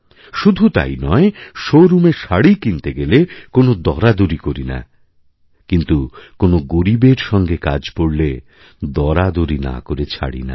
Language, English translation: Bengali, Not just this, when we go to a showroom to buy a saree, we don't bargain, but when it comes to someone poor, we just cannot resist bargaining